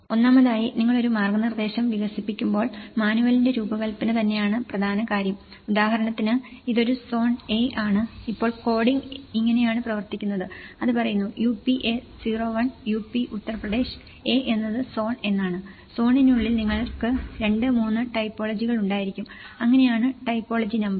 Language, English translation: Malayalam, First of all, the design of the manual itself is the important thing when you are developing a guidance, for example, this is a zone A, this is how the coding is worked so now, it says UPA 01, UP is Uttar Pradesh, A is what is the zone and within the zone, you might have 2, 3 typologies, so that is where the typology number